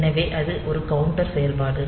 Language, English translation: Tamil, So, this is a counter operation